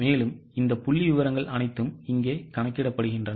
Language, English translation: Tamil, So, all these figures are calculated here